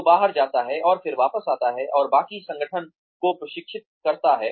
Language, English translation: Hindi, Who goes out, and then comes back, and trains the rest of the organization